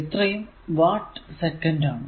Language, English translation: Malayalam, So, basically it is watt hour